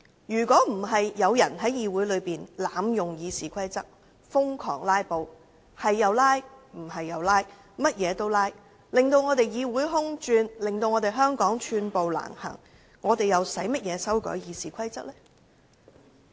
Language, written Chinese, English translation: Cantonese, 如果不是有人在議會內濫用《議事規則》，瘋狂地動輒"拉布"，導致議會"空轉"和令香港寸步難行，我們又何須修改《議事規則》呢？, Some people had abused RoP in the Chamber by frantically filibustering at will resulting in an idle legislature and landing Hong Kong in a difficult situation . If it were not for those people why do we have to amend RoP?